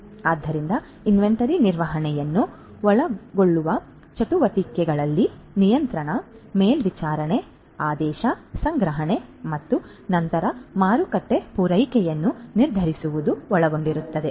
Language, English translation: Kannada, So, activities that would entail the management of inventory would include you know controlling the controlling, overseeing, ordering, storage, then determining the supply for sale